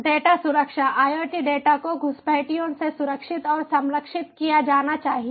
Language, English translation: Hindi, data security: iot data must be secured and protected from the intruders